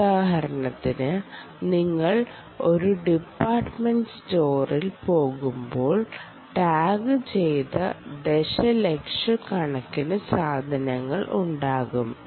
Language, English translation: Malayalam, because you go into a departmental store there are millions and millions of times which are tagged